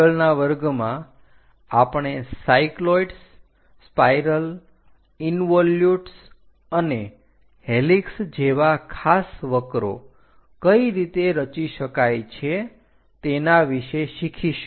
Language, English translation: Gujarati, In the next class, we will learn about how to construct the special curves like cycloids, spirals, involutes and helix